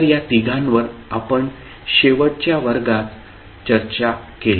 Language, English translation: Marathi, So these three we discussed in the last class